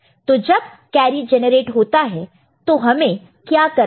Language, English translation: Hindi, So, when carry one is generated what we have to do